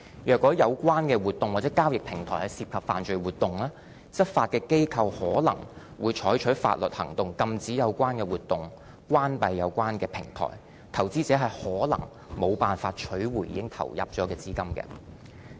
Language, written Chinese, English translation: Cantonese, 如果有關活動或交易平台涉及犯罪活動，執法機構可能會採取法律行動，禁止有關活動、關閉有關平台，投資者可能無法取回已經投入的資金。, Where criminal activities are involved the relevant activities or platforms may be closed as a result of law enforcement action and investors may not be able to get back their investments